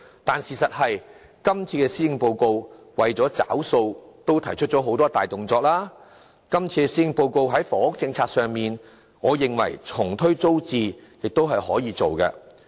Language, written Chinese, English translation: Cantonese, 但事實是今次的施政報告為了"結帳"已提出了多項大動作，今次的施政報告在房屋政策上重推租置計劃，我認為是可行的。, The truth is in settling the bill this years Policy Address has put forward various significant initiatives such as the initiative of relaunching TPS which I find feasible